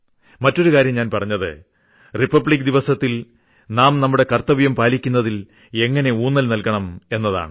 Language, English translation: Malayalam, And the second thing that I told was, when there is a Republic Day, how can we then put emphasis on duties and discuss it